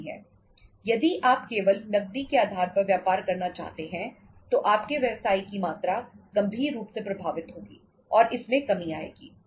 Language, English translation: Hindi, If you want to do the business only on the cash basis the volume of your business will be seriously affected and it will come down